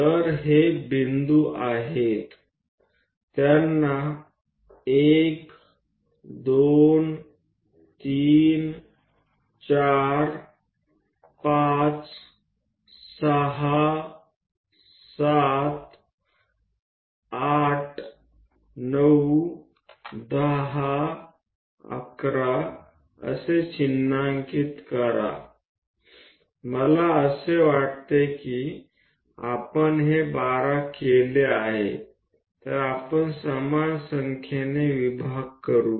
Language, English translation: Marathi, So, these are the points, mark them as 1 2 3 4 2 3 4 5 6 7 8 9 10 11, I think we made this is 12 let us use equal number of divisions